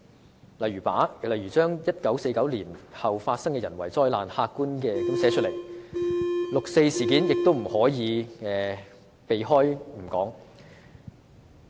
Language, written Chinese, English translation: Cantonese, 舉例而言 ，1949 年後發生的人為災難應客觀地寫出來，六四事件亦不可避而不談。, For instance man - made disasters after 1949 should be recorded objectively and the 4 June incident must not be omitted